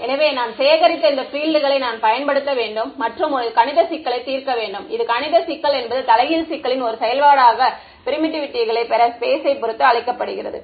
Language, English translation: Tamil, So, I have to use these fields that I have collected and solve a mathematical problem, this mathematical problem is what is called in inverse problem to get permittivity as a function of space